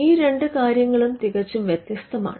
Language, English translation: Malayalam, So, these 2 things are completely different